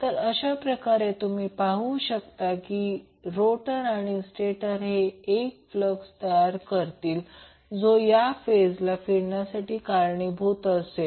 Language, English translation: Marathi, So, in that way if you see basically, the rotor and stator will create 1 flux which will cause the rotation of these phases